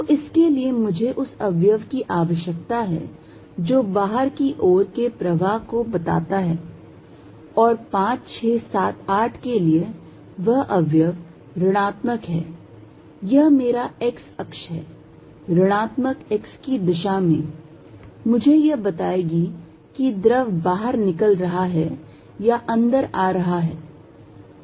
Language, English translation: Hindi, So, for that I need the component which indicates a flow out and that is for 5, 6, 7, 8 the component in minus this is my x axis, in minus x direction is going to tell me whether fluid is leaving or coming in